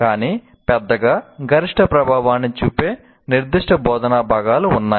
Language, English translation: Telugu, But by and large, there are certain instructional components that will have maximum impact